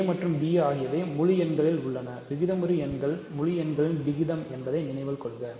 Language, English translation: Tamil, So, a and b are in integer right, remember rational numbers are ratios of integers